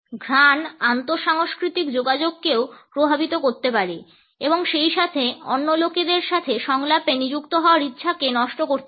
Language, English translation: Bengali, Olfactics can also impact intercultural communication as well as can impair our willingness to be engaged in a dialogue with other people